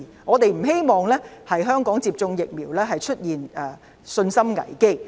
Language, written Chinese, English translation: Cantonese, 我們不希望香港出現對於接種疫苗的信心危機。, We do not want to see a crisis of confidence in vaccination